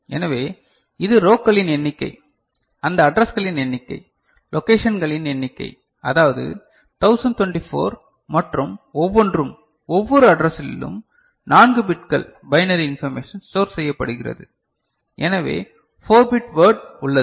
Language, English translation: Tamil, So, this is the number of rows, that number of addresses, number of locations, that is 1024 and each; in each address there are 4 bits of binary information is stored, so 4 bit word is there